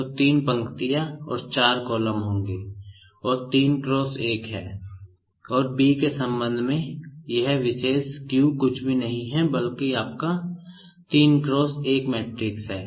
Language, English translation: Hindi, So, there will be 3 rows and 4 columns and this is nothing but 3 cross 1 and this particular Q with respect to B is nothing but your 3 cross 1